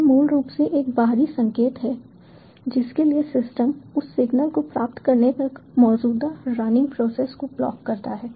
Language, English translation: Hindi, these are basically an external signal for which the systems blocks the current running process till receiving that signal